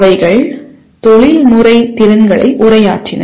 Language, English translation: Tamil, They addressed the Professional Competencies